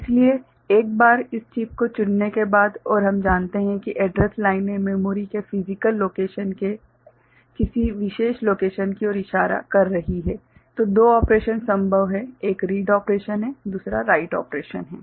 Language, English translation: Hindi, So, once this chip is selected and we know that the address lines are pointing to a particular location of the physical location of the memory right, then two operations are possible – right; one is read operation, another is write operation